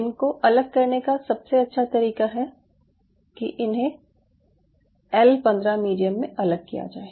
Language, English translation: Hindi, so the best way is to isolate them in a medium called l fifteen, l fifteen